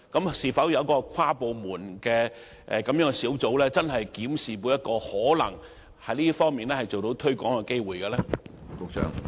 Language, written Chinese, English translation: Cantonese, 會否成立跨部門小組，認真檢視可能就這方面進行推廣的機會？, Will an interdepartmental team be set up to carefully examine possible promotion opportunities in this respect?